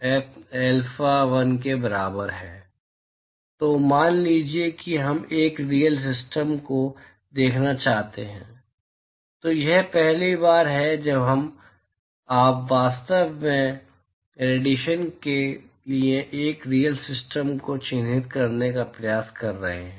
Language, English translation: Hindi, So, now supposing we want to look at a real system, so this is the first time you are actually trying to characterize a real system for radiation